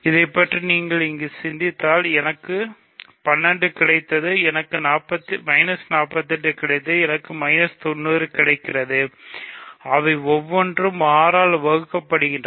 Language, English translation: Tamil, If you think about this each individual term here, I get 12, I get minus 48, I get minus 90, each of them is divisible by 6